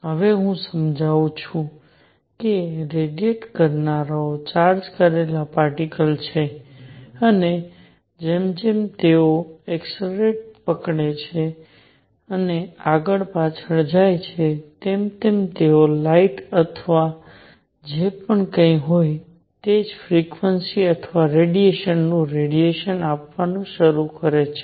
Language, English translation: Gujarati, Now, let me explain that oscillators that radiate are charged particles and as they accelerate and go back and forth, they start giving out radiation of the same frequency and radiation of course, as light or whatever